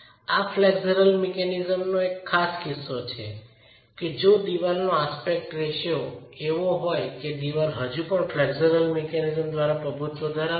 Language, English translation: Gujarati, There is one, there is a special case of this flexural mechanism which is if the aspect ratio of the wall and the level of, if the aspect ratio of the wall is such that the wall is still going to be dominated by flexural mechanisms